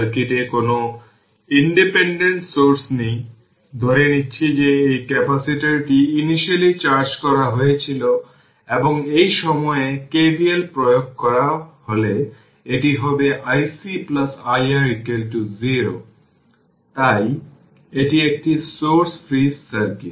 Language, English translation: Bengali, So, its a source free circuit there is no independent source in the circuit, assuming that this capacitor was initially charged and if you apply KVL at this point it will be i C plus i R is equal to 0 right so, this is a source free circuit